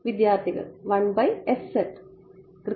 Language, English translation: Malayalam, Students: 1 by s z